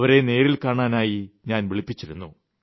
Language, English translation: Malayalam, I had called them especially to meet me